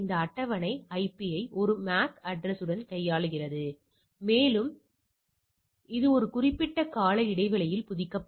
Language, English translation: Tamil, So, you see this table handles this IP with a MAC address right and also it go on updating it over a on a periodic basis